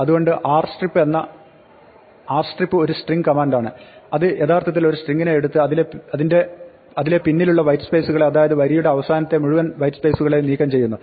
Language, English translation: Malayalam, So, r strip is a string command which actually takes a string and removes the trailing white space, all the white spaces are at end of the line